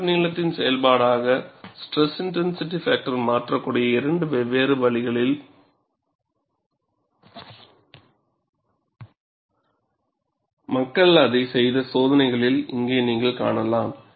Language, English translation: Tamil, Here, you find, in experiments, where people have done it for two different ways SIF can change, as the function of crack length